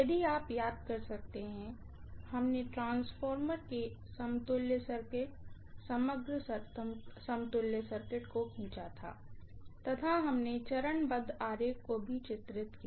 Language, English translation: Hindi, If you may recall, we had drawn the equivalent circuit, overall equivalent circuit of the transformer, we also drew the phasor diagram